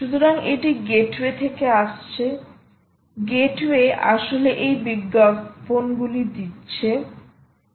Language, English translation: Bengali, gate way is actually giving these advertisement